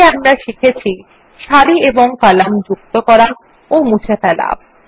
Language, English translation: Bengali, To summarize, we learned about: Inserting and Deleting rows and columns